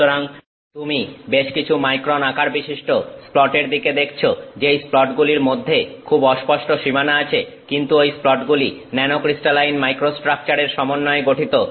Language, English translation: Bengali, So, you are looking at a few microns sized splat with a very faint boundary between those splats, but that splat is consisting of nano crystalline microstructure